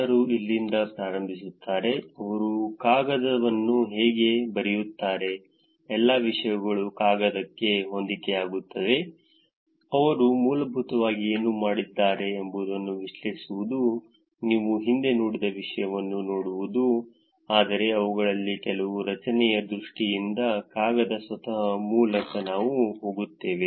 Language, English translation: Kannada, Where do people start, how do they write a paper what all things fits into the paper, what all analysis that they have done essentially, it is looking at the content that you have seen in the past, but in terms of the structure of the paper itself we will go through some of them